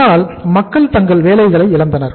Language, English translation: Tamil, So people lost jobs